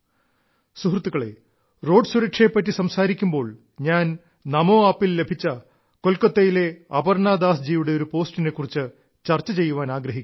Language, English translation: Malayalam, whilst speaking about Road safety, I would like to mention a post received on NaMo app from Aparna Das ji of Kolkata